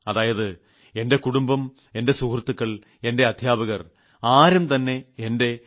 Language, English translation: Malayalam, So it seems that my family, my friends, my teachers, nobody was pleased with my 89